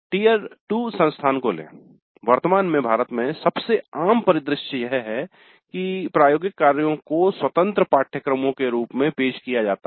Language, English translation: Hindi, TITU's most common scenario in India at present is that laboratories are offered as independent courses